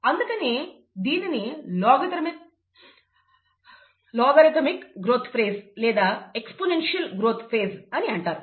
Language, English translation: Telugu, And that is the reason why it is called logarithmic growth phase or the exponential growth phase